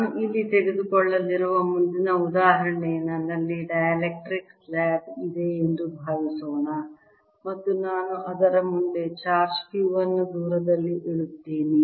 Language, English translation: Kannada, next example i am going to take in this is going to be: suppose i have a dielectric slab and i put a charge q in front of it at a distance d